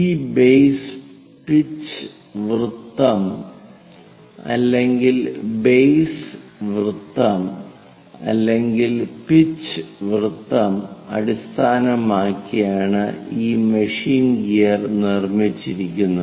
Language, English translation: Malayalam, This machine gear might be constructed based on a base pitch circle base circle or pitch circle